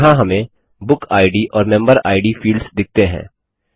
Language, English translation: Hindi, Here, we see the Book Id and Member Id fields